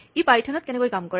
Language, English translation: Assamese, How does this work in python